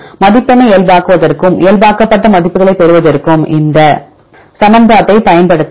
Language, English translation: Tamil, So, this is normalized one you can use this equation to normalize the score and get the normalized values